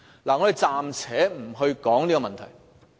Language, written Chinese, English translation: Cantonese, 我們暫且不談這些問題。, Let us leave these questions for the moment